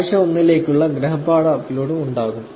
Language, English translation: Malayalam, So, there will be also homework upload for week 1